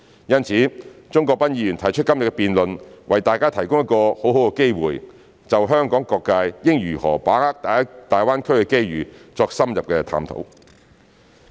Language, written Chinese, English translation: Cantonese, 因此，鍾國斌議員提出今天的辯論，為大家提供一個很好的機會，就香港各界應如何把握大灣區的機遇作深入的探討。, Therefore the debate proposed by Mr CHUNG Kwok - pan today has offered us a good opportunity to have an in - depth discussion on how various sectors in Hong Kong should seize the opportunities of GBA